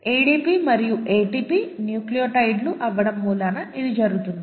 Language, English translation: Telugu, It so happens that ADP and ATP are nucleotides